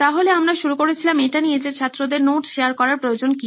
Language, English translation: Bengali, So we have started with why do students need to share notes